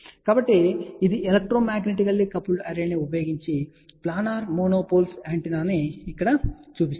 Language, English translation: Telugu, So, this one shows over here planar monopulse antenna using electromagnetically coupled array